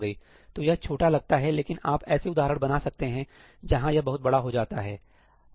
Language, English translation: Hindi, So, this seems small, but you can construct examples where this becomes larger and larger